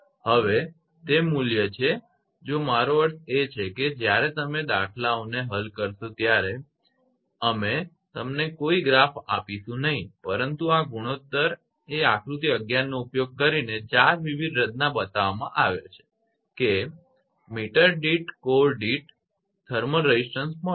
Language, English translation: Gujarati, Now, that is value if i mean when you solve the numericals we will not provide you any graph, but this ratio corresponding to that that using figure 11 that 4 different curves are shown that to get those thermal resistance per core per meter right